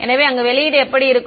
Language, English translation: Tamil, So, there is how the output looks like